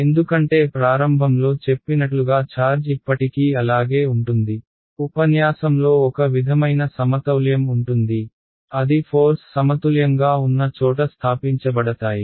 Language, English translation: Telugu, Because a charge it will still be there right as you said rightly in the start of the lecture there will be some sort of a equilibrium that will be establish where the forces are in balance